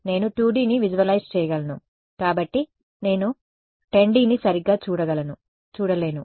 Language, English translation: Telugu, Because I can visualize 2 D I cannot visualize 10 D right